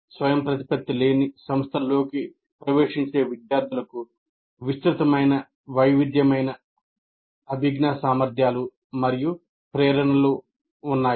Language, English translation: Telugu, The students entering non autonomous institutions have widely varying competencies, cognitive abilities and motivations